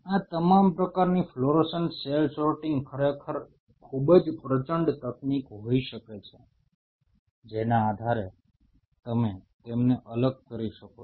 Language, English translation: Gujarati, All these kind of fluorescent cell sorting can be really very formidable technique by virtue of each you can isolate them